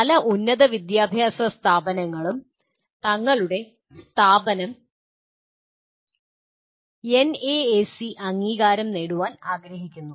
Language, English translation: Malayalam, Many of the higher education institutions also want to have their institution accredited by NAAC